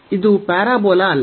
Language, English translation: Kannada, So, this is not the parabola